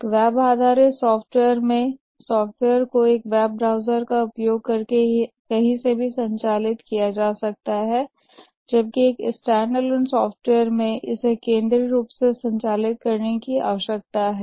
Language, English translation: Hindi, In a web based software, the software can be operated from anywhere using a web browser, whereas in a standalone software, it needs to be operated centrally